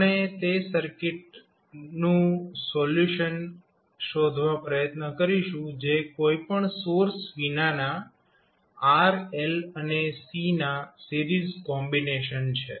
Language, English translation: Gujarati, We will try to find the solution of those circuits which are series combination of r, l and c without any source